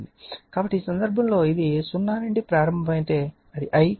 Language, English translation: Telugu, So, if in this case this is starting from 0 so, it is your I right